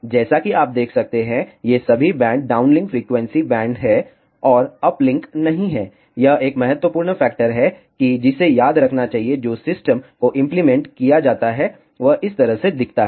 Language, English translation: Hindi, As you can observe all these bands are downlink frequency bands and not uplink, this is an important factor to be remembered the system that is implemented looks like this